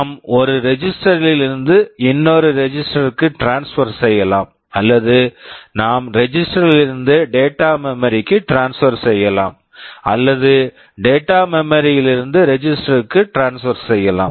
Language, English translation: Tamil, We can transfer from one register to another or we can transfer from register to data memory or data memory to register